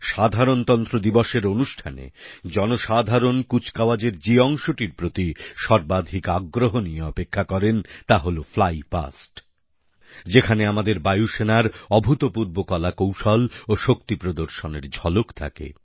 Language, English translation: Bengali, One of the notable features eagerly awaited by spectators during the Republic Day Parade is the Flypast comprising the magnificent display of the might of our Air Force through their breath taking aerobatic manoeuvres